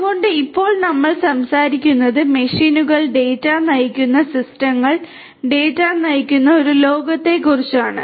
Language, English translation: Malayalam, So, now we are talking about a world where machines are data driven, systems are data driven